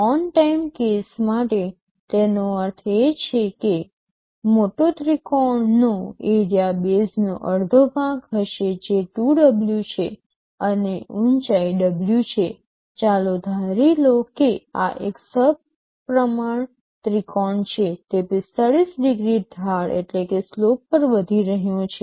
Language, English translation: Gujarati, For the on time case, that means, the larger triangle area will be half of base, which is 2W, and height is W let us assume this is an equilateral triangle, it is rising at 45 degree slope